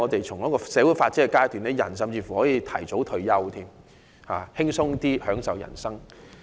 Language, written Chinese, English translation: Cantonese, 從社會發展的階段來看，人們甚至可以提早退休，輕鬆享受人生。, Considering the stage at which society has developed people can even retire early and enjoy life in a carefree manner